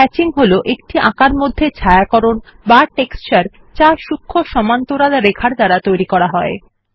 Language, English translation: Bengali, Hatching is a shading or texture in drawing that is created using fine parallel lines